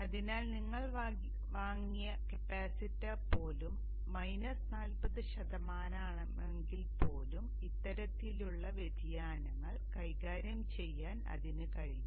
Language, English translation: Malayalam, So that even the capacitor that you have bought is minus 40% down, it will be able to handle these kind of variations